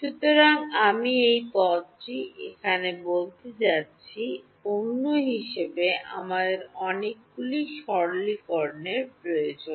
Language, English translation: Bengali, So, I am going to call this term over here as another there are many many simplifications that we need to do